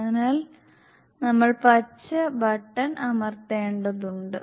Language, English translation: Malayalam, So, we need to press the green button